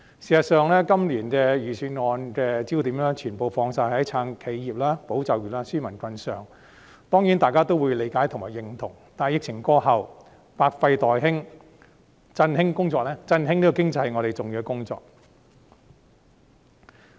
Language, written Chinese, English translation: Cantonese, 事實上，今年的預算案焦點全部放在"撐企業、保就業、紓民困"上，當然大家也會理解和認同，但疫情過後，百廢待興，振興經濟是我們重要的工作。, In fact the focal point of the Budget this year is supporting enterprises safeguarding jobs and relieving peoples burden . People certainly understand and agree to this . But when the outbreak is over and there is much to recover the revitalization of the economy will be an important task of ours